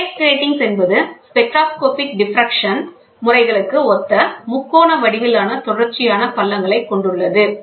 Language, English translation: Tamil, The phase grating consists of triangularly shaped contiguous grooves similar to spectroscopic diffraction patterns